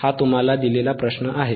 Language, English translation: Marathi, tThis is the question given to you